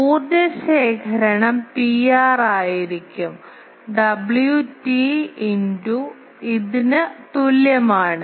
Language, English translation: Malayalam, Power collect will be P r is equal to W t into this